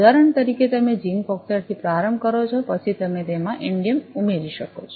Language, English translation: Gujarati, For example, you start with zinc oxide, then you can add indium into it